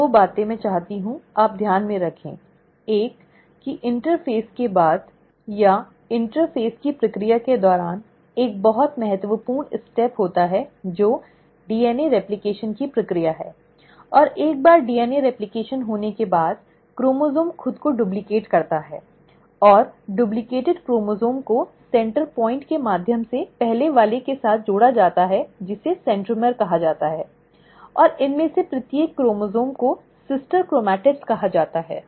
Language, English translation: Hindi, So two things I want you to bear in mind; one, that after interphase, or during the process of interphase, there is a very important step which happens which is the process of DNA replication, and once the DNA replication has taken place, the chromosome duplicates itself and the duplicated chromosome is attached with the first one through a center point called as the centromere, and each of these chromosomes are called as the sister chromatids